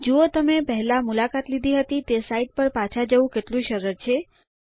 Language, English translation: Gujarati, See how easy it is to go back to a site that you visited before